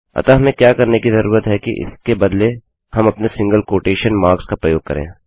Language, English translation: Hindi, So what we need to do is use our single quotation marks instead